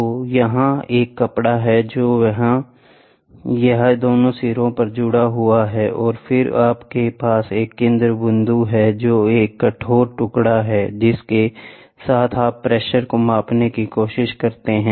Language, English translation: Hindi, So, here is a fabric which is there, this is attached at both ends and then you have a centerpiece which is yeah a rigid piece with which you try to measure the pressure